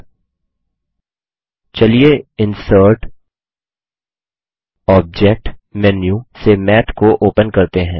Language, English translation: Hindi, Now let us call Math by clicking Insert menu, then Object and then Formula